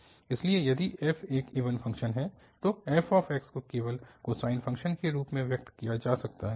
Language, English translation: Hindi, So, if f is an even function, then f x can be expressed in terms of just the cosine functions